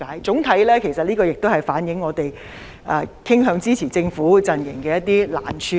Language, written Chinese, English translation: Cantonese, 總的來說，其實這亦反映我們傾向支持政府的陣營的難處。, All in all this actually also reflects the difficulty faced by those of us who are inclined to support the Government